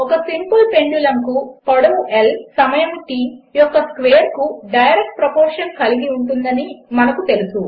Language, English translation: Telugu, As we know for a simple pendulum, length L is directly proportional to the square of time T